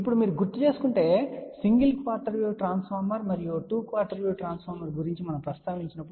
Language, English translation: Telugu, Now, if you recall we did mention about single quarter wave transformer and 2 quarter wave transformer